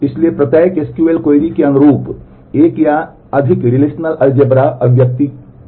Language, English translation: Hindi, So, corresponding to every SQL query there is a one or more relational algebra expression